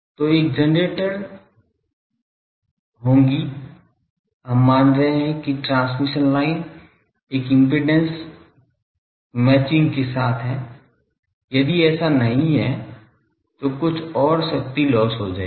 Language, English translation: Hindi, So, there will be a transmission line, we are assuming that the transmission line, we are having an impedance match, if not then some amount of more power will be lost